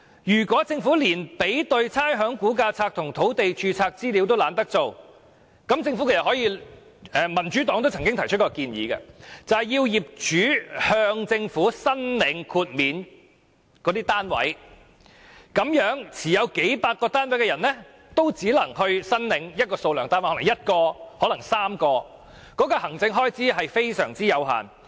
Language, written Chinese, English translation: Cantonese, 如果政府連比對差餉估價冊和土地註冊資料也懶做，民主黨亦曾提出，規定業主向政府申領豁免單位的數目，持數百個單位的人也只能就某一數目的單位申領豁免，可能是1個，可能是3個，這方面的行政開支極為有限。, If the Government is too lazy to compare the information in the Valuation List and that of land records the Democratic Party once proposed to require a property owner to apply to the Government the number of properties for rates concessions . So a person holding several hundred properties can only apply for rates concession for a limited number of properties say one or three and the administration cost involved is very low